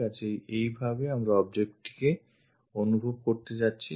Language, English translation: Bengali, So, in that way we are going to sense this object